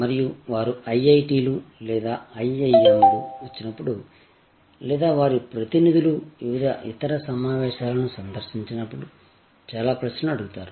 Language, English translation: Telugu, And lots of questions are asked, whenever they come to IITs or IIMs or their representatives visit various other conferences